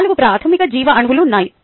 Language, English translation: Telugu, ok, there are four basic biomolecules